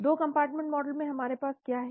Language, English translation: Hindi, In 2 compartment model what do we have